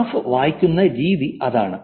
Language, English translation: Malayalam, That's the way to read the graph